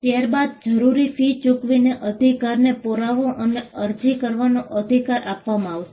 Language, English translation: Gujarati, Then, the required fees has to be paid; and the proof of right, the right to make an application has to be given